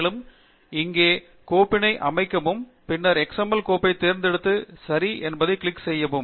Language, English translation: Tamil, And the file is to be located here, and then, select the XML file, click OK